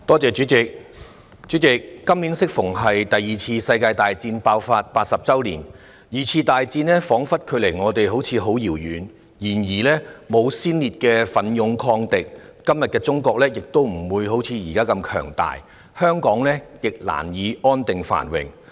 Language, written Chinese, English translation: Cantonese, 代理主席，今年適逢是第二次世界大戰爆發的80周年，二戰彷彿距離我們十分遙遠，但沒有先烈的奮勇抗敵，今天的中國也不會如斯強大，而香港亦難以安定繁榮。, Deputy President this year happens to be the 80 anniversary of the outbreak of the Second World War . It seems that World War II is very remote from us but had there not been the courageous resistance of the martyrs against the enemies China will not be so strong and Hong Kong can hardly enjoy stability and prosperity today